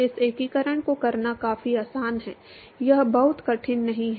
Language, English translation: Hindi, It is quite easy to do this integration, it is not very hard